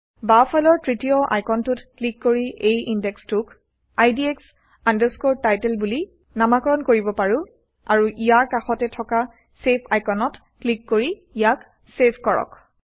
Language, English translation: Assamese, We can also choose the Ascending or Descending order here and rename this index to IDX Title by clicking on the third icon on the left, and save it using the Save icon next to it